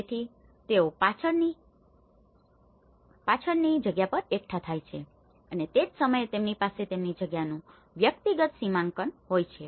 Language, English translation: Gujarati, So, they gather at the rear space and at the same time they have their personal demarcation of their space